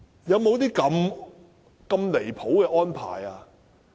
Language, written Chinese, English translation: Cantonese, 有沒有這麼離譜的安排？, Is there a more outrageous arrangement?